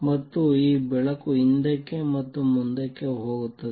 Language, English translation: Kannada, And this light goes back and forth